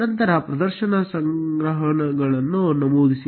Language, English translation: Kannada, Then, enter show collections